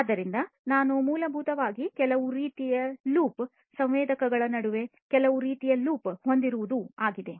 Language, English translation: Kannada, So, what we have essentially is some kind of a loop, some kind of an you know a loop between the between the sensor